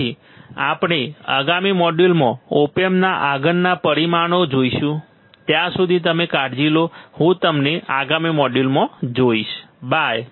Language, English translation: Gujarati, So, we will see in the next module, the further parameters of the op amp, till then, you take care, I will see you in the next module, bye